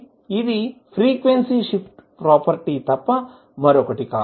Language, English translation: Telugu, So, this is nothing but frequency shift property